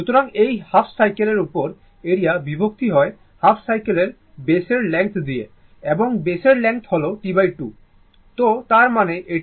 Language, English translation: Bengali, So, this is the area this is the area over the half cycle divided by the length of the base of half cycle and this length of the base of half is T by 2, up to this right